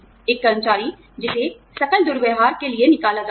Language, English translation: Hindi, An employee, who is discharged for gross misconduct